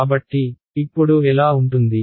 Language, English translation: Telugu, So, what will it look like now